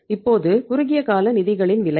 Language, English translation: Tamil, Now the cost of the short term funds